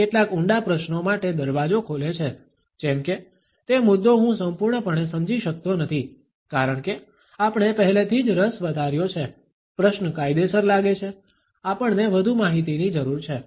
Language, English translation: Gujarati, It opens the door for some digging questions like; that point I do not completely understand, because we already build up interest, the question seems legit, we need more information